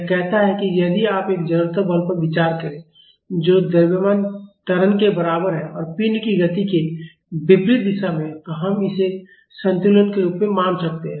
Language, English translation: Hindi, It says that if you consider an inertia force which is equal to mass and acceleration in the opposite direction of the motion of the body, we can treat this as a equilibrium